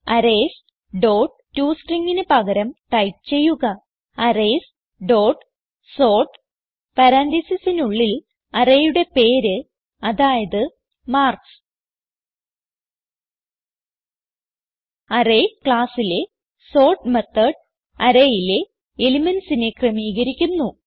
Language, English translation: Malayalam, So before the line Arrays dot toString type Arrays dot sort within parenthesis the Array name i.e marks So the sort method in the Arrays class, sorts the elements of the array passed to it